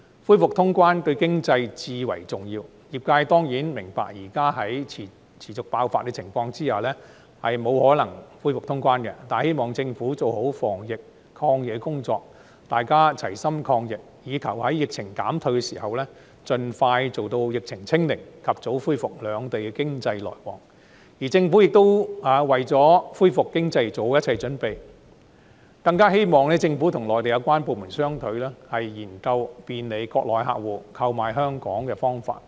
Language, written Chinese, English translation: Cantonese, 恢復通關對經濟至為重要，業界當然明白現時在疫情持續爆發的情況下，不可能恢復通關，但希望政府做好防疫抗疫的工作，大家齊心抗疫，以求在疫情減退時，盡快做到疫情"清零"，及早恢復兩地的經濟來往；希望政府為了恢復經濟，做好一切準備；更希望政府與內地有關部門商討，研究便利國內客戶購買香港保險的方法。, While certainly understanding that it is impossible to resume cross - border activities at this time when the outbreaks persist the industry hopes that the Government will with concerted efforts of the public do a good job of preventing and combating the pandemic with a view to achieving zero infection as soon as possible when the pandemic abates so that it will not take long for the economic exchanges between the two places to be resumed . I also hope that the Government will make all the preparations for the recovery of the economy . More than that I hope that the Government will discuss with the relevant Mainland authorities to explore ways to facilitate the purchase of Hong Kongs insurance products by Mainland customers